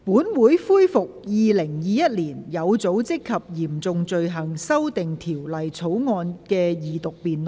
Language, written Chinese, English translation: Cantonese, 本會恢復《2021年有組織及嚴重罪行條例草案》的二讀辯論。, This Council resumes the Second Reading debate on the Organized and Serious Crimes Amendment Bill 2021